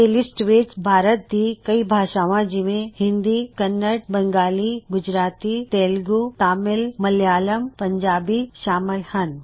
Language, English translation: Punjabi, This includes most widely spoken Indian languages including Hindi, Kannada, Bengali, Gujarati, Tamil, Telugu, Malayalam, Urdu etc